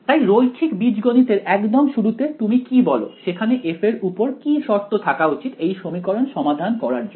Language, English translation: Bengali, So, very beginning of linear algebra what do you say should be a condition on f for you to be able to solve this equation